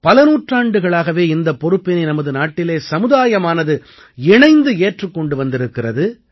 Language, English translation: Tamil, In our country, for centuries, this responsibility has been taken by the society together